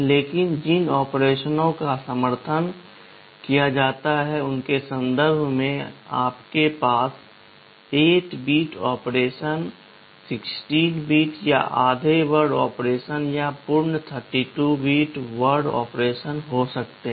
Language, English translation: Hindi, But in terms of the operations which are supported, you can have 8 bit operations, 16 bit or half word operations, or full 32 bit word operations